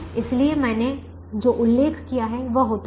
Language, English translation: Hindi, so what i mentioned happens